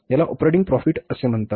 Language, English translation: Marathi, This is called as operating profit